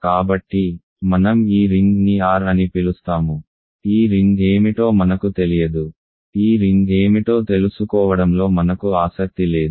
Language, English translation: Telugu, So, I let us call this ring R, we do not know what this ring is I am not interested in knowing what this ring is